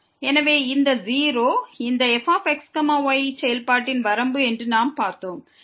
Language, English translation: Tamil, So, what we have seen that this 0 is the limit of this function